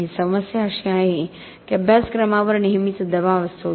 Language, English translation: Marathi, And the problem is that the curriculum is always under pressure